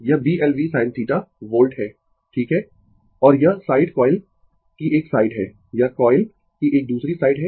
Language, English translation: Hindi, This is B l v sin theta volts right and this side is the one side of the coil, this is another side of the coil